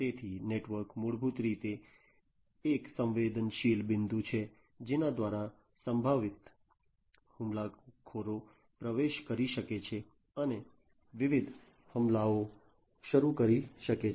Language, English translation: Gujarati, So, network, basically is a vulnerable point through which potential attackers can get in and launch different attacks